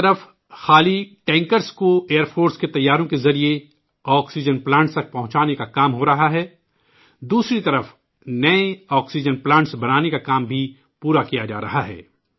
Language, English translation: Urdu, On the one hand empty tankers are being flown to oxygen plants by Air Force planes, on the other, work on construction of new oxygen plants too is being completed